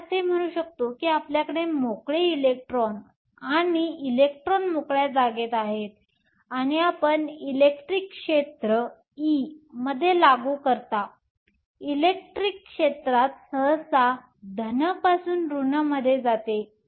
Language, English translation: Marathi, Let us say you have a free electron or an electron in free space and you apply in electric field E, electric field usually goes from positive to negative